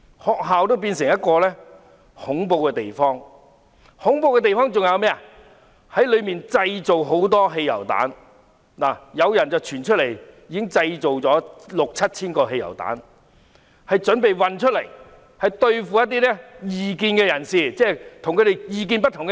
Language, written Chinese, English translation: Cantonese, 學校也變成一個恐怖的地方，恐怖之處在於裏面有人大量製造汽油彈，更有傳已製造六七千個汽油彈，準備運送出來對付異見人士，即跟他們意見不同的人。, The university has turned into such a horrendous place . The horror lies in the fact that the people inside have been massively producing petrol bombs . Rumour has it that some 6 000 to 7 000 petrol bombs have been produced and ready to be smuggled out to be used against people of opposite opinions